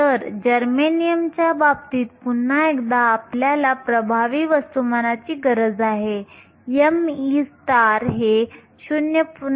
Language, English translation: Marathi, So, in the case of germanium, once again I need the effective masses m e star is 0